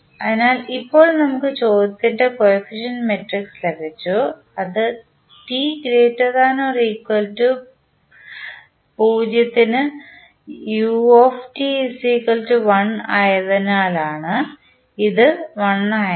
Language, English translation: Malayalam, So, now we have got coefficient matrices in the question it is given that ut is equal to 1 for t greater than equal to 0 that is why this is 1